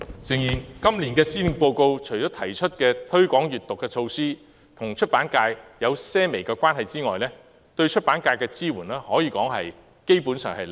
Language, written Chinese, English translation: Cantonese, 誠然，在今年的施政報告內，除提出推廣閱讀的措施與出版界或許有些微關係外，對出版界的支援可謂是零。, Actually apart from the measure to promote reading which may be marginally relevant to the publishing industry there is next to no support for the publishing industry in the Policy Address this year